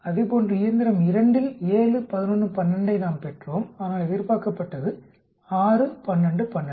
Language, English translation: Tamil, Same thing on machine 2 we observed 7, 11, 12 but expected is 6, 12, 12